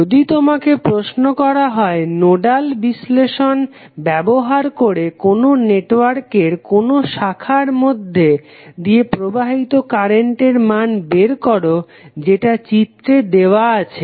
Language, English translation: Bengali, Next let us take another example, if you are asked to use nodal analysis to determine the current flowing in each branch of the network which is shown in this figure